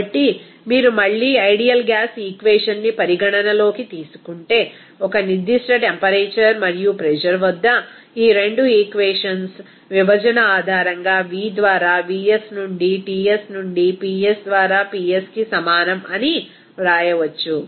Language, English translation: Telugu, So, after rearranging of this equation, we can then express that to V at a particular temperature and pressure, it will be is equal to Vs into T by Ts into Ps by P